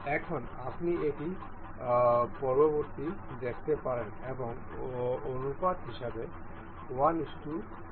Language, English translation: Bengali, Now, you can see it the further the next one actuates and as in the ratio 1 is to 1